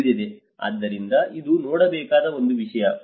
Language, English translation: Kannada, So, this is one thing one has to look at